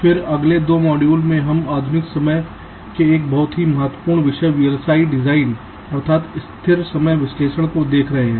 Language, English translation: Hindi, then in the next two modules we shall be looking at a very important topic of modern day v l s i design, namely static timing analysis